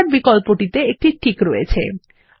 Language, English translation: Bengali, The option Standard has a check